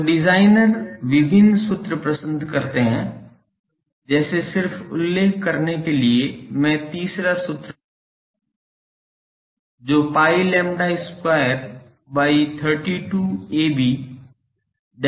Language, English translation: Hindi, So, people use various designer like various formula just to mention I am writing the third formula is pi lambda square by 32 a b, then D E into D H